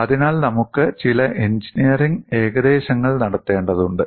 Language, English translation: Malayalam, So, we need to make certain engineering approximations